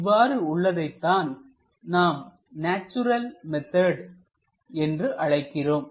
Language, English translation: Tamil, This is what we call natural method